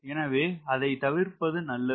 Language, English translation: Tamil, so you have to avoid that